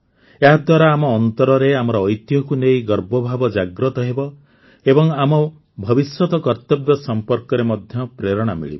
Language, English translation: Odia, This will instill in us a sense of pride in our heritage, and will also inspire us to perform our duties in the future